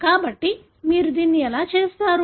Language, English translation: Telugu, So, how do you do this